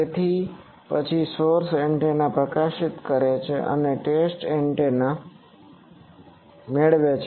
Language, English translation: Gujarati, So, then source antenna is illuminating and test antenna is getting